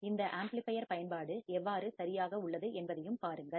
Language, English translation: Tamil, And also see how what is the application of this amplifiers all right